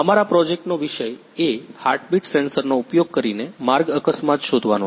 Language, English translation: Gujarati, The topic of our project is road accident detection using heartbeat sensor